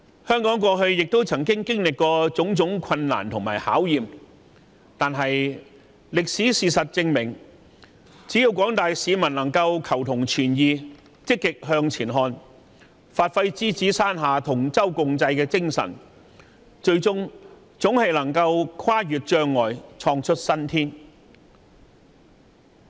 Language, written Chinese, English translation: Cantonese, 香港過去亦曾經歷種種困難和考驗，但歷史證明，只要廣大市民能夠求同存異，積極向前看，發揮獅子山下同舟共濟的精神，最終總能跨越障礙，創出新天。, Difficulties and challenges are not new to Hong Kong . Yet history proves that with the willingness to seek a common ground amid diversity positive and forward - looking attitudes as well as the spirit of mutual help under the Lion Rock we can tide over any difficulties to create a brighter future